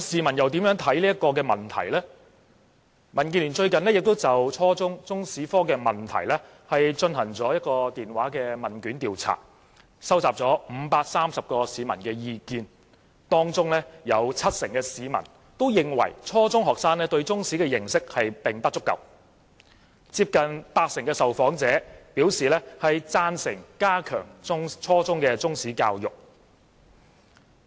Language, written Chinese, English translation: Cantonese, 民主建港協進聯盟最近曾就初中中史科進行電話問卷調查，收集了530名市民的意見，當中有七成市民認為初中學生對中史的認識並不足夠，接近八成受訪者表示贊成加強初中中史教育。, The Democratic Alliance for the Betterment and Progress of Hong Kong has recently conducted a telephone questionnaire survey on the teaching of Chinese history at junior secondary level . Of the 530 respondents 70 % considered that junior secondary students lacked a good knowledge of Chinese history and nearly 80 % of them supported the strengthening of Chinese history education at junior secondary level